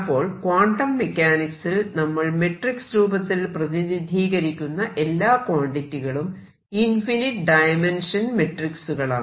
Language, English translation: Malayalam, So, necessarily all the quantities that are represented by matrix in quantum mechanics the representation is an infinite dimensional matrix